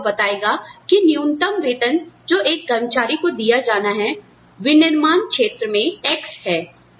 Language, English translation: Hindi, The law will tell you that, the minimum wage, that has to be given to an employee, in the manufacturing sector is x